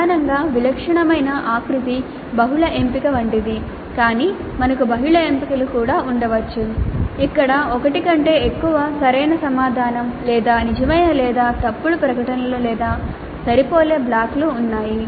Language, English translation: Telugu, Primarily the typical format is like multiple choice but we could also have multiple selections where there is more than one right answer or true or false statements or matching blocks